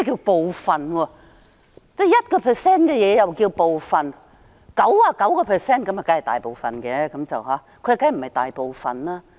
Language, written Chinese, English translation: Cantonese, 1% 也算是部分 ，99% 就當然是大部分了，他說當然不是鑿開大部分。, One percent is also considered a part while 99 % is certainly a large part . He said that they are definitely not going to cut open a large part